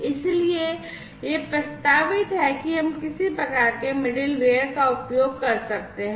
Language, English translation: Hindi, So, it is proposed that we could use some sort of a middleware